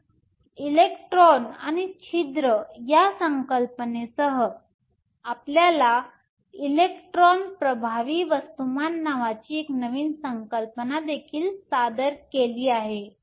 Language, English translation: Marathi, So, along with this concept of electrons and holes, you are also introduced a new concept called electron effective mass